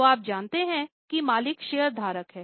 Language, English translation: Hindi, So, you know, the owners are shareholders